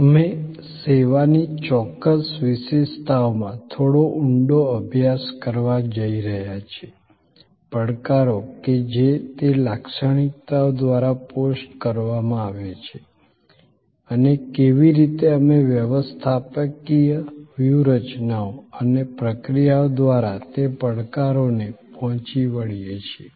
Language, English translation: Gujarati, We are going to dig a little deeper into certain particular characteristics of service, the challenges that are post by those characteristics and how, we meet those challenges through the managerial strategies and processes